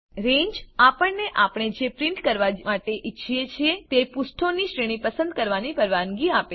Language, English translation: Gujarati, Range allows us to select the range of pages that we want to print